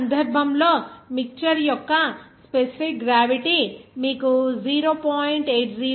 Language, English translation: Telugu, In this case, the specific gravity of the mixture is given to you as 0